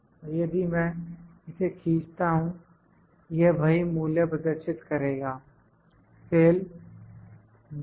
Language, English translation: Hindi, Now if I drag this it will just show the same value, the cell G18